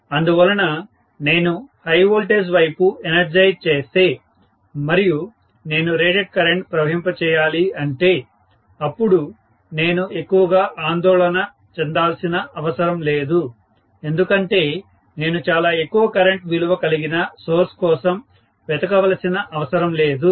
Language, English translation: Telugu, So, high voltage side if I energise and if I have to pass rated current, then I don’t have to worry so much because I do not have to look for very high current value source, I do not have to look for that